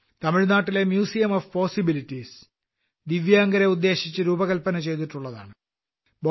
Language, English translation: Malayalam, Tamil Nadu's Museum of Possibilities has been designed keeping in mind our Divyang people